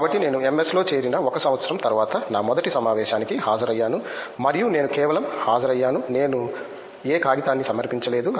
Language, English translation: Telugu, So, I attended my first conference after one year after joining MS and I just attended it I did not present any paper